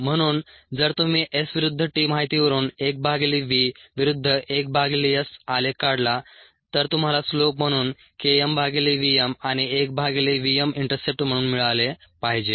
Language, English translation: Marathi, ok, so if you plot one by v verses, one by s, from the s verses t data, you should get k m by v m as a slope and one by v m as the intercept